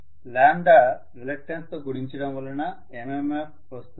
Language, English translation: Telugu, So lambda multiplied by reluctance is MMF